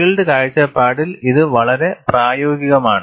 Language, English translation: Malayalam, It is very practical, from field point of view